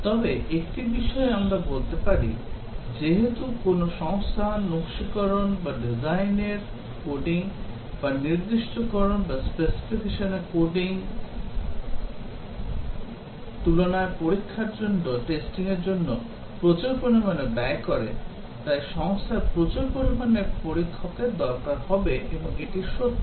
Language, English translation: Bengali, But then one thing that we can say that since a company spends a large amount of effort on testing compared to designing or coding or specifying therefore, the company would need large number of testers and that is true